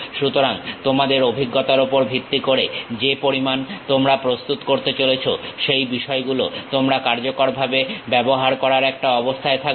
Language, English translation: Bengali, So, based on your expertise how much you are going to prepare you will be in a position to effectively use these things